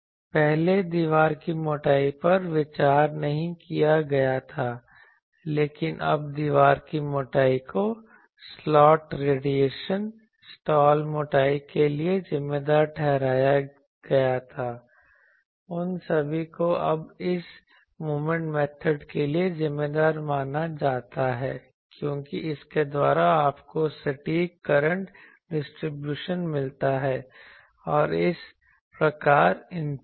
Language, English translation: Hindi, Previously wall thickness was not considered, but now wall thickness was accounted for slot radiation, slot thickness all those are now accounted for by this moment method thing because, by this you get accurate current distribution and from thus impedance